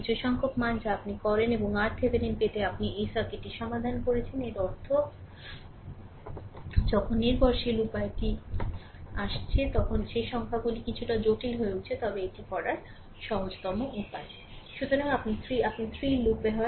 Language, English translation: Bengali, Some numerical value you do and you have solve this circuit to get the R Thevenin; that means, whenever dependent source is coming that numericals becoming little bit complicated, but easiest way to do it right